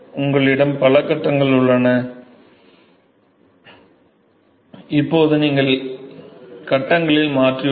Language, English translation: Tamil, You have multiple phases you have change in the phases now